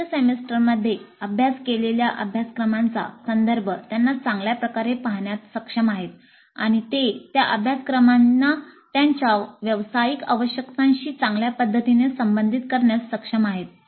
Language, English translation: Marathi, They're able to better see the context of the course studied higher semesters and they are able to relate those courses to their professional requirements in a better fashion